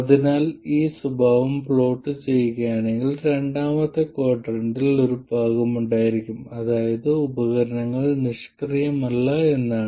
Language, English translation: Malayalam, So this means that if you plot this characteristic there will be a part in the second quadrant which means that the device is not passive